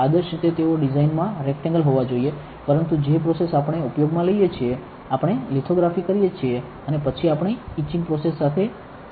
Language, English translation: Gujarati, Ideally they should be very perfectly rectangular in design, but the process that we use, we do lithography and then we etch, with etching process